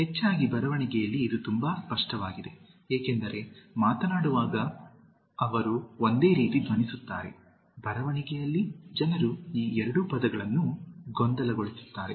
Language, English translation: Kannada, Mostly in writing, this is very much evident, because, while speaking they sound similar, in writing, people confuse these two words